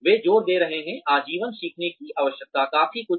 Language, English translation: Hindi, They are emphasizing, the need for lifelong learning, quite a bit